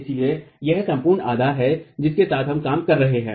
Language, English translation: Hindi, So this is the overall geometry with which we are going to be working